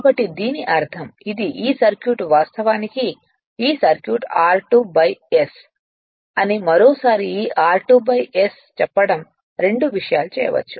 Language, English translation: Telugu, So that means, this is this this circuit this circuit actually this circuit is r 2 dash upon s once again I am telling you this r 2 dash by s can be made two things